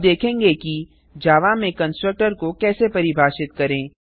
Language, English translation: Hindi, Let us now see how constructor is defined in java